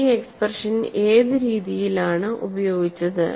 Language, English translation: Malayalam, And what way this expression was used